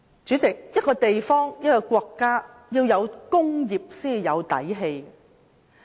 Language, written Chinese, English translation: Cantonese, 主席，任何地方或國家必須有工業才有"底氣"。, President the development of industry is crucial to the strength of a place or a country